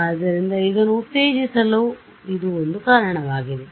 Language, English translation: Kannada, So, it is one reason to promote it